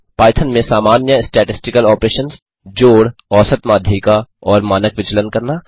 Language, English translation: Hindi, Do the standard statistical operations sum , mean median and standard deviation in Python